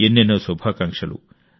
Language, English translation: Telugu, Many best wishes